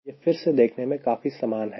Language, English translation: Hindi, it is again almost similar